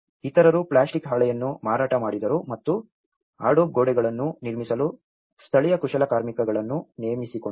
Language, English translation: Kannada, Others sold a plastic sheeting and hired the local artisans to build adobe walls